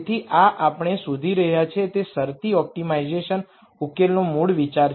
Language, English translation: Gujarati, So, this is a basic idea of constrained optimization solution that we are looking for